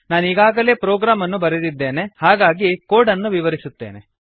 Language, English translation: Kannada, I have already made the program, so Ill explain the code